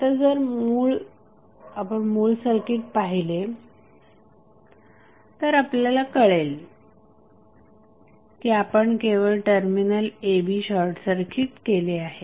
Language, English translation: Marathi, Now, if you see the original circuit we have just simply short circuited the terminal a, b